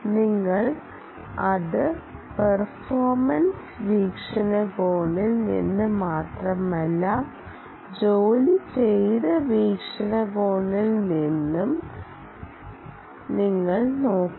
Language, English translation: Malayalam, you should just not look at it from the ah performance perspective, but you should also look at it in terms of the work done perspective